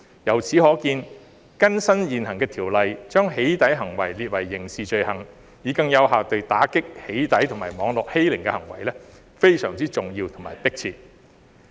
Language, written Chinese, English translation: Cantonese, 由此可見，更新現行條例，將"起底"行為訂為刑事罪行，以更有效地遏止"起底"及網絡欺凌的行為，非常重要和迫切。, This shows that it is very important and urgent to update the existing legislation by criminalizing doxxing acts so as to more effectively curb doxxing and cyberbullying